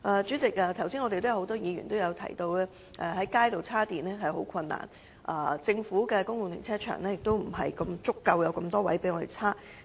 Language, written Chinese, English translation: Cantonese, 主席，剛才很多議員也提到，現時想在街道上找到充電設施相當困難，政府的公共停車場亦欠缺足夠的充電車位。, President just now many Members mentioned that it is very difficult to find charging facilities on the street . Public car parks also lack adequate parking spaces with charging facilities